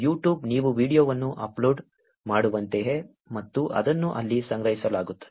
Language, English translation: Kannada, YouTube is more like you upload a video and it gets stored there